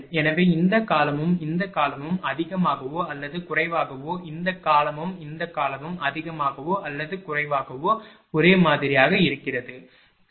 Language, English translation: Tamil, So, this term and this term more or less this term and this term more or less it is same, right